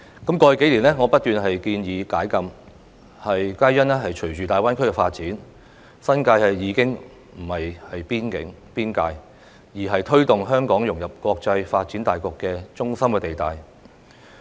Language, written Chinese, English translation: Cantonese, 在過去數年，我不斷建議解禁，因為隨着大灣區發展，新界已經不再是邊境、邊界，而是推動香港融入國際發展大局的中心地帶。, Over the past few years I have been urging the Government to relax the restriction . It is because with the development of the Greater Bay Area the New Territories is no longer a frontier or a boundary but a pivotal point to promote Hong Kongs integration with the overall international development